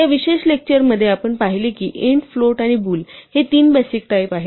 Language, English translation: Marathi, What we have seen in this particular lecture are 3 basic type int, float and bool